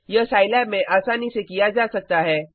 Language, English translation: Hindi, This can be done easily in Scilab